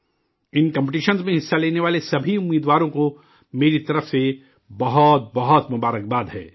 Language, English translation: Urdu, Many many congratulations to all the participants in these competitions from my side